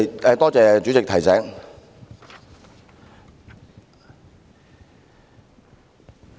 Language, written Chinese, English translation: Cantonese, 謝謝主席提醒。, Thank you for reminding me President